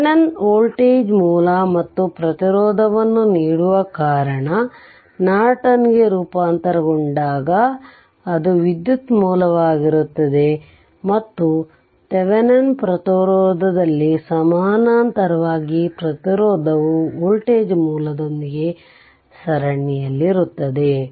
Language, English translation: Kannada, Because Thevenin gives on voltage source and resistance, when you transform into Norton it will be a current source and resistance in the parallel in Thevenin resistance is in series with the voltage source right